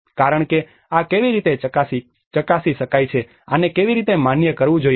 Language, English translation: Gujarati, Because, how this could be tested how this has to be validated